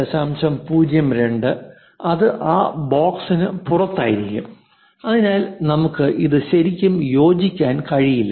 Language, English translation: Malayalam, 02 it will be out of that box so, we cannot really fit it